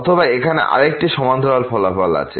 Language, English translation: Bengali, Or there is another parallel result here